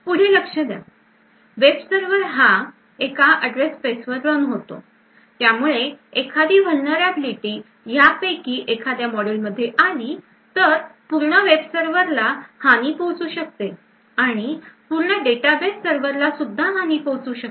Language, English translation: Marathi, Further, note that since each web server runs in a single address space, single vulnerability in any of these modules could compromise the entire web server and could possibly compromise the entire data base server as well